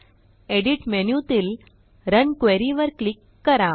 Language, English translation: Marathi, Click on Edit menu and then click on Run Query